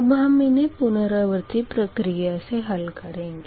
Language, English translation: Hindi, first we will see that iterative process